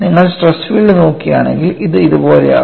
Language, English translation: Malayalam, And if you look at the stress field, it would be something like this